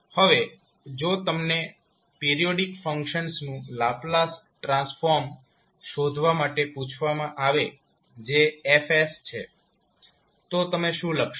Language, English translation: Gujarati, So now if you are asked to find out the Laplace transform of the periodic function that is F s what you will write